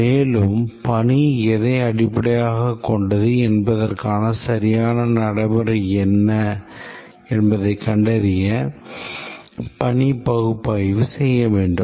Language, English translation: Tamil, And then we need to do the task analysis to find out what are the exact procedures based on which the task is accomplished